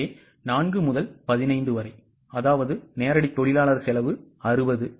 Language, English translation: Tamil, So 4 into 15, that means direct labour cost is 60